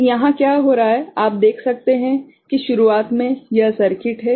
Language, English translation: Hindi, So, here what is happening you can see, that in the beginning this is the circuit